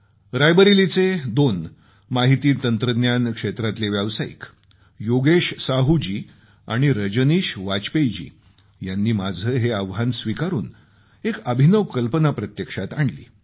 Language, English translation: Marathi, Two IT Professionals from Rae Bareilly Yogesh Sahu ji and Rajneesh Bajpayee ji accepted my challenge and made a unique attempt